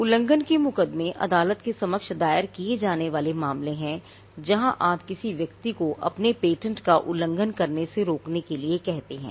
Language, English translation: Hindi, So, infringement suits are the are cases filed before the court where you ask a person to stop infringing your patent